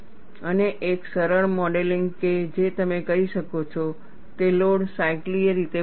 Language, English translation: Gujarati, And one of the simplest modeling that you could do is, that the load varies cyclically